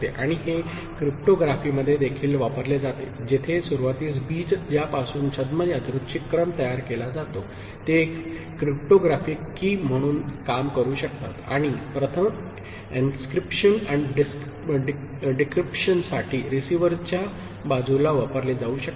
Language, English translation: Marathi, And it is used in cryptography also where the initial seed from which the pseudo random sequence is generated can serve as a cryptographic key and can be used for encryption first and at the receiver side for decryption